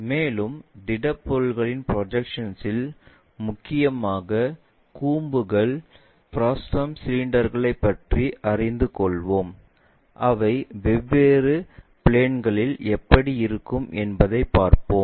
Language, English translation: Tamil, And, in our projection of solids we will learn about mainly the cones frustums cylinders, how they really look like on different planes